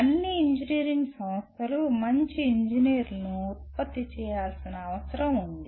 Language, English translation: Telugu, After all engineering institutions are required to produce good engineers